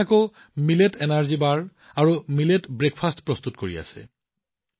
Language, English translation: Assamese, There are some who are making Millet Energy Bars, and Millet Breakfasts